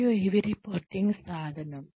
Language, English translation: Telugu, And, it is a reporting tool